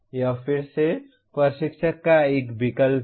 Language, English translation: Hindi, This is again a choice of the instructor